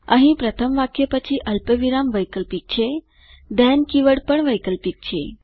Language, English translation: Gujarati, Here the comma after the first line is optional, Also the then keyword is optional